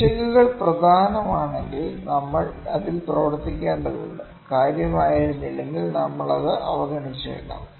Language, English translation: Malayalam, If the errors are significant, we need to work on that, if there were not significant we might ignore that